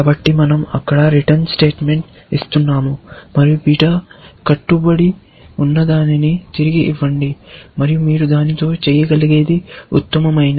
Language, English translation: Telugu, So, we are making a return statement there, and say, return whatever beta bound is and that is the best you can do with this